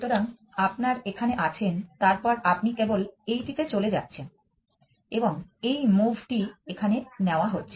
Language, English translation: Bengali, So, you have a here and then you simply move to this one and that is the move that you make here